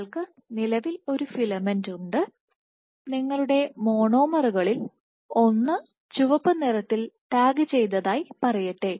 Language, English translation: Malayalam, So, you have an existing filament and let us say you tagged one of your monomers red